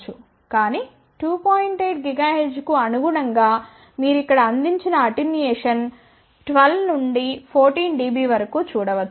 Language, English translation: Telugu, 8 gigahertz you can see what is the attenuation provided here maybe 12 to 14 dB